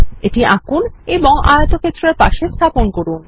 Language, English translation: Bengali, Let us draw it and place it next to the rectangle